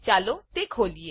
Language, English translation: Gujarati, Let me open it